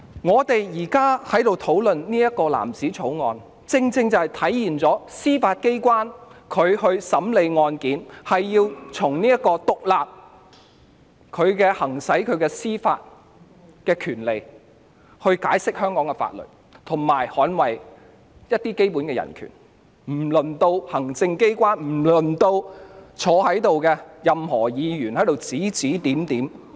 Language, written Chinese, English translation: Cantonese, 我們現在討論的《條例草案》，正正體現了司法機關審理案件時須獨立行使司法權利來解釋香港的法律，以及捍衞一些基本的人權，輪不到行政機關或任何一位在席立法會議員指指點點。, Our ongoing discussion on the Bill precisely embodies the need for the Judiciary to independently exercise its judicial power to interpret the laws of Hong Kong and safeguard some basic human rights in its handling of cases leaving no room for the executive or any Legislative Council Member present to sit in judgment over them